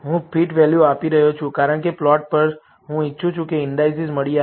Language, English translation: Gujarati, I am giving fitted values is, because on the plot, I want the indices to be found